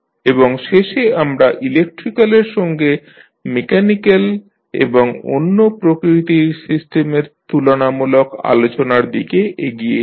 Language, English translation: Bengali, Then finally we will move on to comparison of electrical with the other mechanical as well as other types of systems